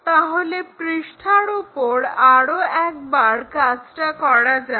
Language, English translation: Bengali, So, let us do it on the sheet once again